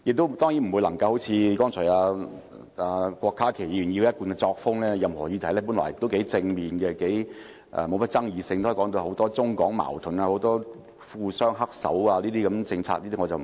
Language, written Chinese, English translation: Cantonese, 我當然不會像郭家麒議員般，根據他一貫作風，本來是頗正面的議案、沒有太大爭議性，也可以描繪為涉及很多中港矛盾、富商"黑手"等。, Of course in no way will my speech resemble that of Dr KWOK Ka - ki . It is his style all the way to associate any motions with the many Mainland - Hong Kong conflicts the manipulation of tycoons behind the scene and so forth no matter how positive and non - controversial the motions are